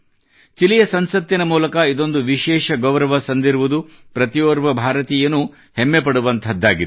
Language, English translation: Kannada, This is a special honour by the Chilean Parliament, which every Indian takes pride in